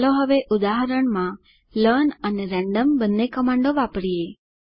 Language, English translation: Gujarati, Let us now use both the learn and random commands in an example